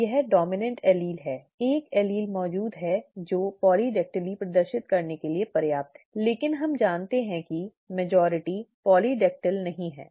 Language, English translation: Hindi, It is the dominant allele, one allele being present is sufficient to exhibit polydactyly, but we know that a majority are not polydactyl, right